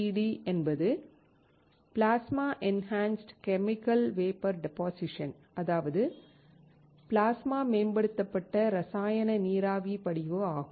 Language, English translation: Tamil, PECVD is Plasma Enhanced Chemical Vapor Deposition